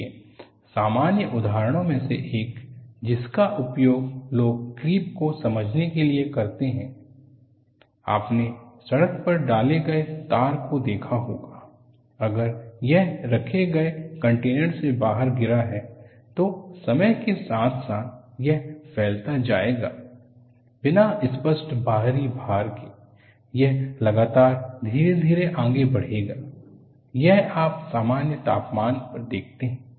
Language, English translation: Hindi, See, one of the common examples that people would use to explain creep is, you find the tar put on the road, if it spills out of the container that this kept, over a period of time it will spread, without apparent external load, it will keep on creeping slowly, it will move, this you see at room temperature